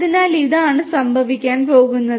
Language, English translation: Malayalam, So, this is what is going to happen